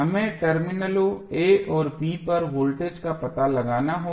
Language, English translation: Hindi, We have to find out the voltage across terminal a and b